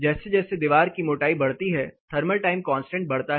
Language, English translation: Hindi, As the thickness of the wall increases, thermal time constant is going to go up